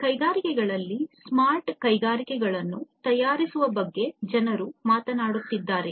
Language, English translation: Kannada, People are talking about making smart factories in the industries